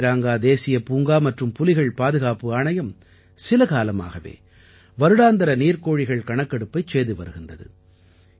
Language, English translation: Tamil, The Kaziranga National Park & Tiger Reserve Authority has been carrying out its Annual Waterfowls Census for some time